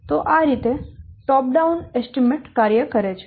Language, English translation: Gujarati, So this is how the top down estimation this works